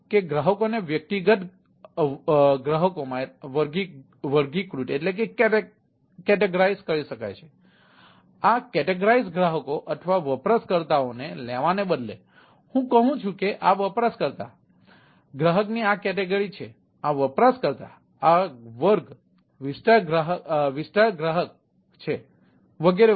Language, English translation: Gujarati, right, it is, instead of taking individual customer or user, i say that this is user, is this category of customer, this user, is this class area, customer and ah, so and so forth